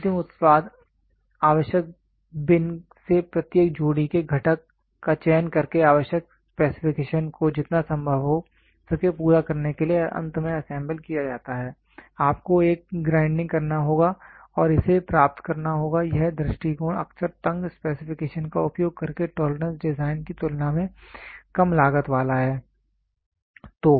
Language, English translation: Hindi, The final product is assembled by selecting the component of each pair from appropriate bin to meet the required specification as close as possible finally, you have to do a grinding and get it done this approach is often less cost costlier than the tolerance design using tighter specification